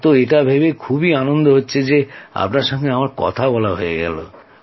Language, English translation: Bengali, It was nice talking to you